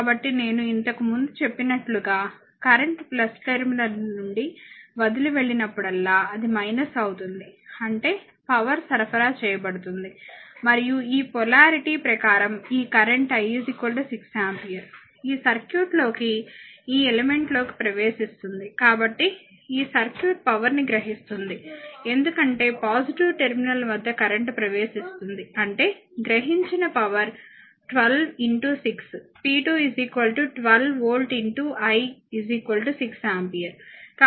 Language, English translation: Telugu, So, whenever current is leaving plus terminal it should be minus I told you earlier; that means, power supplied right and this current I is equal to 6 ampere according to this polarity, entering into this circuit into this element right therefore, it this circuit will absorbed power because current entering at the positive terminal; that means, power absorbed should be 12 into 6 p 2 is equal to 12 volt into I is equal to 6 ampere